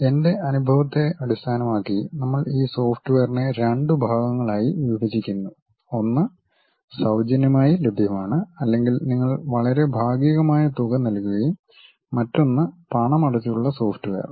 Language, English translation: Malayalam, Based on my experience, we are dividing these softwares into two parts, one freely available or you pay a very partial amount and other one is paid software